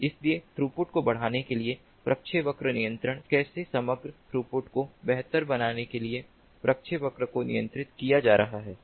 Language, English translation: Hindi, so the trajectory control for increasing the throughput, how the trajectory is going to be controlled in order to improve the overall throughput